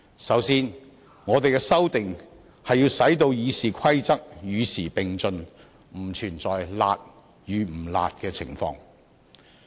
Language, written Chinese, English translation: Cantonese, 首先，我們的修訂是要使《議事規則》與時並進，不存在"辣"與"不辣"的情況。, First of all we proposed amendments to keep the Rules of Procedure RoP abreast of the times and the question of whether the amendments are harsh or not does not exist